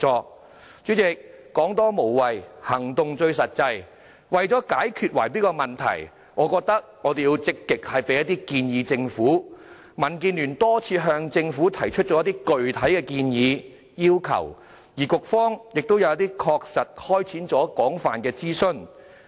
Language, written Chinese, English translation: Cantonese, 代理主席，"說多無謂，行動最實際"，為了解決圍標問題，我認為我們要積極向政府提出意見，所以民建聯已多次向政府提出一些建議和要求，而局方亦曾就一些建議確實開展廣泛諮詢。, Deputy President action speaks louder than words . To deal with the bid - rigging problem I think we have to be proactive in making suggestions to the Government . Hence the Democratic Alliance for the Betterment and Progress of Hong Kong DAB has raised some proposals and requests with the Government a number of times and the Bureau has conducted extensive consultation exercises on certain proposals